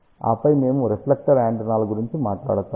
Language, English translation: Telugu, Then we will talk about reflector antennas